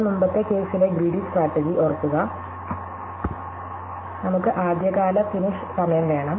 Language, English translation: Malayalam, So, recall the greedy strategy in the earlier case, we wanted the earliest finish time